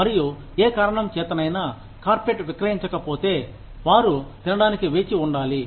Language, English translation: Telugu, And, for whatever reason, if the carpet is not sold, they will have to wait, to eat